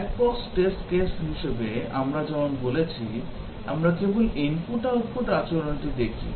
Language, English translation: Bengali, Black box test case, as we are saying we just look at the input output behavior